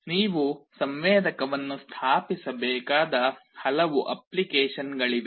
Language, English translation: Kannada, There are many applications where you need to install a sensor